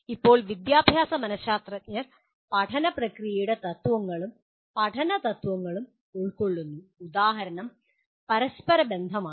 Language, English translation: Malayalam, Now educational psychologists derive principles of learning process and some of the principles of learning, some examples are “contiguity”